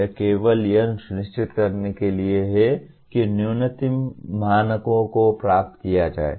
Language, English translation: Hindi, This is only to ensure that minimum standards are attained